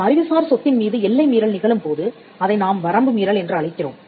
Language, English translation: Tamil, When trespass happens on an intellectual property then we call that by the word infringement